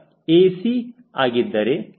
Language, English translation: Kannada, of course, c